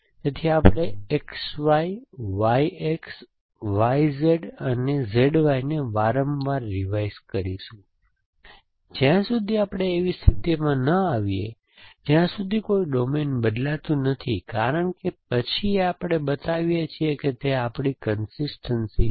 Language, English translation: Gujarati, So, it is we will make calls revise X Y, Y X, Y Z and Z Y repeatedly, till we come to a condition where no domains as change because then we are show that it is our consistence essentially